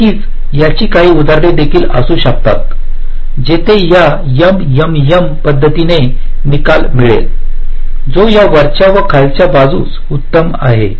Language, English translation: Marathi, of course there can be a some example you could be work out where this m, m, m method will give result which is better than this top down one, bottom of one